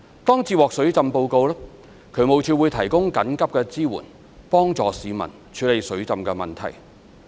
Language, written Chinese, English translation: Cantonese, 當接獲水浸報告，渠務署會提供緊急支援幫助市民處理水浸問題。, Upon receipt of a flooding report DSD will provide emergency support to help the citizens tackle the flooding problem